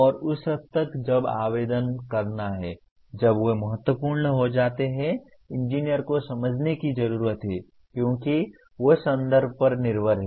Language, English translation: Hindi, And to that extent when to apply, when they become important an engineer needs to understand, because they are context dependent